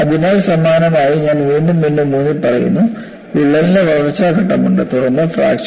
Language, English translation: Malayalam, So, similarly I am emphasizing again and again, there is a growth phase of crack followed by fracture was a very important concept